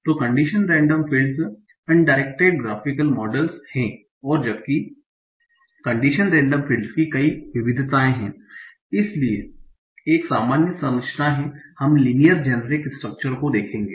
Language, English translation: Hindi, So condition random fields are undirected graphical models and while there are many variations of condition random fields, so there is a generic structure we will look at the linear chain structure